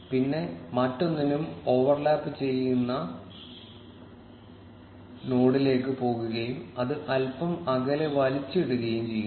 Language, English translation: Malayalam, Then, going to the node which is being overlapped with the other and dragging it just a little further off